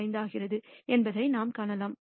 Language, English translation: Tamil, And we find out that its actually 70